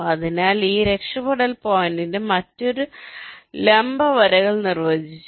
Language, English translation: Malayalam, so on this escape points, you defined another set of perpendicular lines